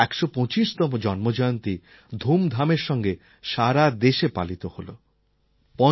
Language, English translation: Bengali, His 125th birth anniversary was celebrated all over the country